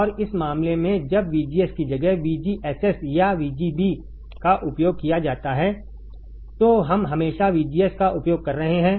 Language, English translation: Hindi, And in this case when VGS is used instead of VGSS or VGB right we are using always VGS